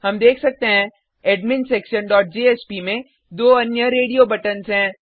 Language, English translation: Hindi, We can see that in the adminsetion.jsp there are two more radio buttons